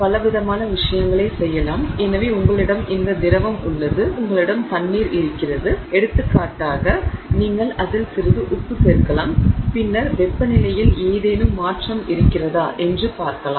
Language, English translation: Tamil, So, you have this liquid here let's say you have water for example, you can just add some salt to it and then you can see if there is any change in temperature